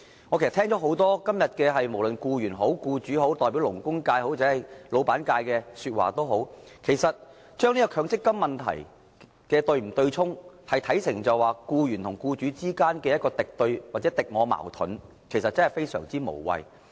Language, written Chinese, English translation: Cantonese, 我今天聽到很多議員在發言時，無論是從僱員或僱主角度，抑或是代表勞工界或老闆界的發言，都把強積金對沖問題看成為僱員與僱主之間的敵對或敵我矛盾，其實這看法非常無謂。, In many Members speeches I have heard today no matter whether they have spoken from the employers angle or that of employees or on behalf of the labour sector or the bosses they have regarded the issue of the MPF offsetting arrangement as antagonism between employers and employees or a conflict between two opposing camps . Actually such a view is quite meaningless